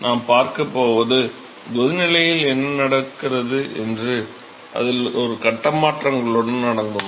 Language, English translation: Tamil, So, what we going to see is in boiling what happens that the there is a phase changes is involved